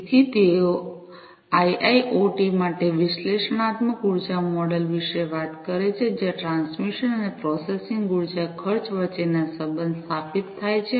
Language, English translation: Gujarati, So, they talk about an analytical energy model for IIoT, where the relationship between the transmission and processing energy costs are established